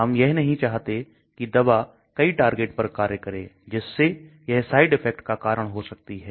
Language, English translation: Hindi, We do not want the drug acting on several targets; thereby it may be causing side effects